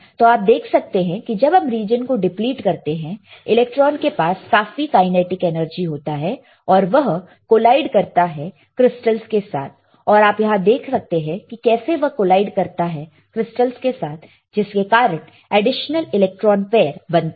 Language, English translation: Hindi, You see when you deplete the region, the electron would have enough kinetic energy and collide with crystals as you can see it is colliding here with crystals and this lurching the electrons further electrons right and forms additional electron hole pair